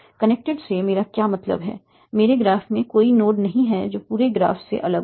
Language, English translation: Hindi, There is no node in my graph that is isolated from the whole graph